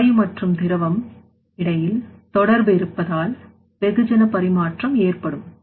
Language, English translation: Tamil, So, in that case there will be contact between gas and liquid so through which there will be a mass transfer